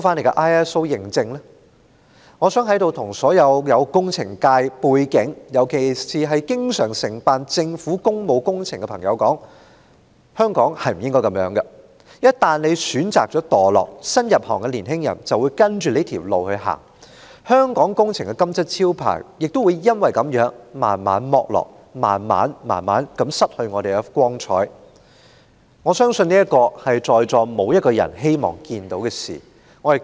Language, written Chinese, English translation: Cantonese, 我想在此向所有具工程界背景，尤其是經常承辦政府工務工程的朋友說，香港不應該這樣，業界一旦選擇墮落，新入行業的年青人便會跟着走這條路，香港工程的"金漆招牌"隨之逐漸剝落，香港也會逐漸失去光彩，相信在席的所有人都不願看到這種局面。, I wish to say to those people who have an engineering background particularly those who often undertake public works projects of the Government that Hong Kong should not be like this . Once the sector chose the path of depravity young new entrants will follow their lead resulting in the dissipation of prestige in the engineering sector of Hong Kong and in turn the gradual tarnishing of Hong Kongs lustre―a situation I believe no one in this Chamber would wish to see